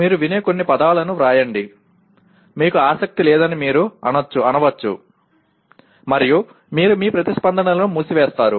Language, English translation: Telugu, Write a few words that you listen to, you may say you are not interested and then you shut your responses